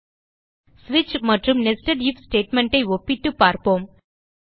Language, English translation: Tamil, We will see the comparison between switch and nested if statement